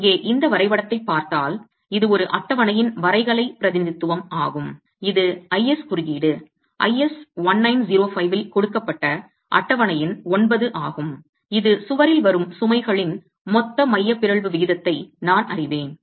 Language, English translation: Tamil, So if you look at this graph here, this is the tabula, this is the graphical representation of a table, table number 9, which is given in the IS code, I has 1905, which will tell you, okay, I know the total eccentricity ratio of the loads coming onto the wall, I know the slenderness that I am going to be adopting